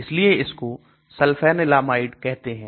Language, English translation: Hindi, That is why it is called Sulfanilamide